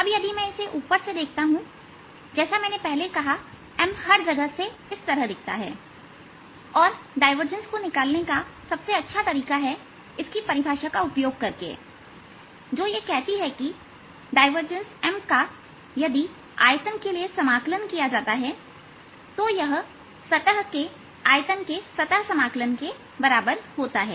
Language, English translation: Hindi, now, if i look at it from the top, as i said earlier, this is how m looks all over the place and best way to find divergence is using its definition, which says that divergence of m integrated over a volume is going to be equal to the surface integral over the surface of this volume